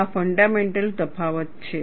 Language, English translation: Gujarati, This is the fundamental difference